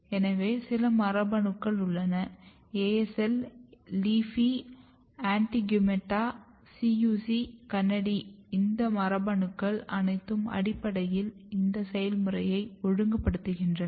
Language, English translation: Tamil, So, there are some genes for example, ASL, LEAFY, ANTIGUMETA, CUC, KANADI all these genes are basically regulating the process together